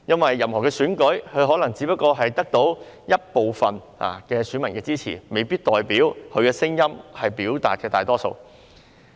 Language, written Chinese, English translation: Cantonese, 在任何選舉中，一位立法會議員可能只得到一部分選民的支持，未必表示他所表達的聲音屬於大多數。, In any election a Legislative Member may have garnered support from some voters but it does not mean that he represents the voices of the majority